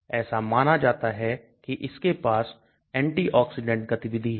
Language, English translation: Hindi, It is supposed to have antioxidant activity